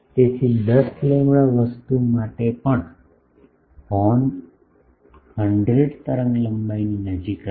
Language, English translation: Gujarati, So, even for 10 lambda thing the horn will be close to 100 wavelength long